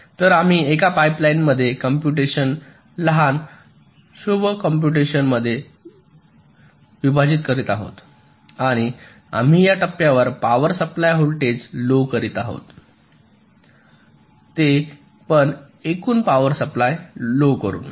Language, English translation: Marathi, so we are splitting a computation into smaller sub computation in a pipe line and we are reducing the power supply voltage of these stages their by reducing the overall power consumption